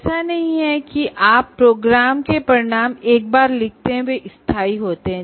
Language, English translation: Hindi, So it is not as if you write the program outcomes once and they are permanent